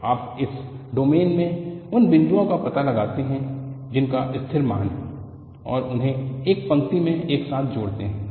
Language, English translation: Hindi, So, you find out points in this domain which has a constant value and join them together by a line